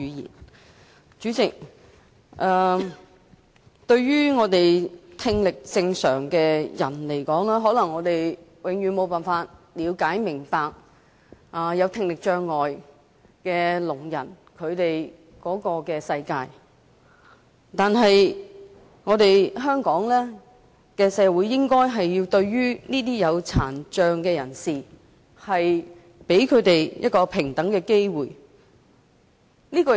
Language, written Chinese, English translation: Cantonese, 代理主席，聽力正常的人可能永遠無法了解聽障人士的世界，但香港社會應該讓殘障人士享有平等的機會。, Deputy President people with normal hearing may never know how the world of people with hearing impairment is like . But our society should enable persons with disabilities to enjoy equal opportunities